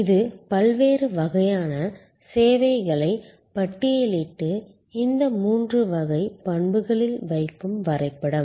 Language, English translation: Tamil, This is a diagram that list different kinds of services and puts them on these three types of attributes